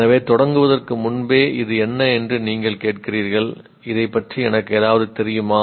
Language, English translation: Tamil, So before you even start, you ask what is this about, do I know something about it